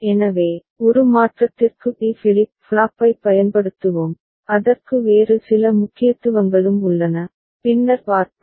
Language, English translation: Tamil, So, for a change let us use D flip flop and it has certain other significance that we shall see later